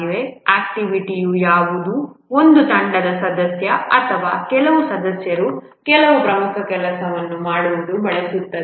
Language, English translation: Kannada, An activity is something using which a team member or a few members get some important work done